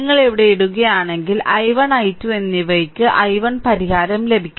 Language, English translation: Malayalam, If you put it here, then you will get i 1 solution for i 1 and i 2